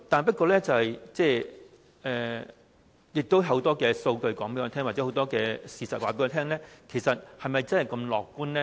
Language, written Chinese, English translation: Cantonese, 不過，亦有很多數據和事實告訴我們，其實是否真的如此樂觀呢？, Nevertheless many data and facts on the other hand make us wonder if the reality is really that optimistic